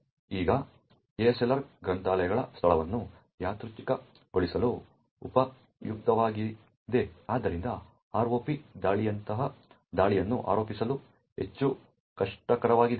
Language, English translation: Kannada, Now ASLR was useful to actually randomise the location of libraries, therefore making attack such as the ROP attack more difficult to actually mount